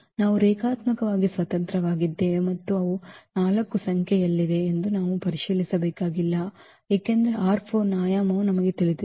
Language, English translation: Kannada, So, we do not have to check we have to check that they are linearly independent and they are 4 in number because, the dimension of R 4 also we know